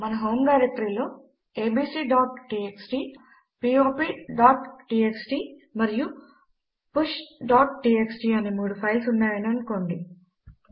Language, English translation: Telugu, Suppose we have 3 files named abc.txt, pop.txt and push.txt in our home directory